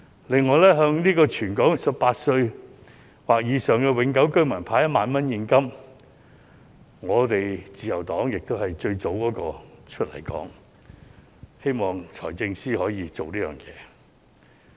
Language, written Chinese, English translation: Cantonese, 此外，關於向全港18歲或以上的香港永久性居民派發1萬元現金的安排，自由黨亦是最早出來爭取，希望財政司司長可以落實。, Besides in regard to the 10,000 cash handout arrangement for all Hong Kong permanent residents aged 18 or above the Liberal Party is also the first party that fought for its implementation by the Financial Secretary